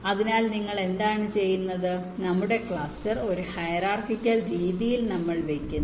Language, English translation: Malayalam, we carry our cluster in a hierarchical way